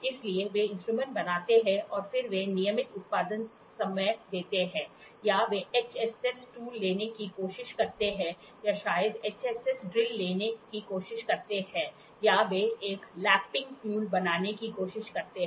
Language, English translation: Hindi, So, they make tools and then they give to the regular production time or they try to take HSS tool or maybe try to take a HSS drill or they try to manufacture a lapping tool